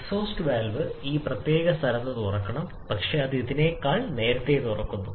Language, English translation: Malayalam, The exhaust valve should open at this particular location, but it is opening earlier than this